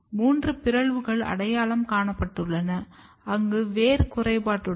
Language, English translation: Tamil, And there was three mutates has been identified, where the root was defective